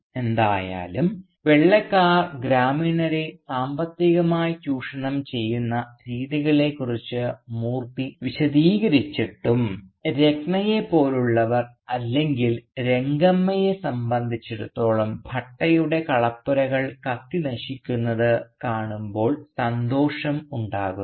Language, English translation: Malayalam, Because after all, in spite of Moorthy's elaborate explanation of the ways in which the White man is economically exploiting the villagers, for people like Ratna for instance or Rangamma, they find the most pleasure when they see the granary of Bhatta going up in flames